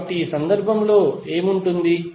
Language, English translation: Telugu, So what would be in this case